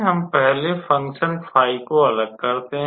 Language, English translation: Hindi, We first separate the function phi